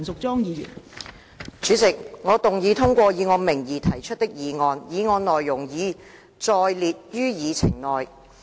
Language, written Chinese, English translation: Cantonese, 代理主席，我動議通過以我名義提出的議案，議案內容已載列於議程內。, Deputy President I move that the motion proposed under my name as printed on the Agenda be passed